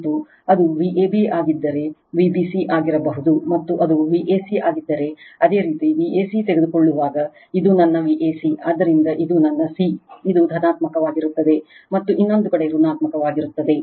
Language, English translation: Kannada, And if it is V a b could V b c and if it is V c a, when you take V c a, this is my V c a, so this is my c this is positive right, and another side is negative